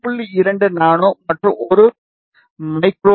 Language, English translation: Tamil, 2 nano and this is around one micro